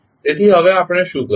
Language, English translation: Gujarati, So, now what we will do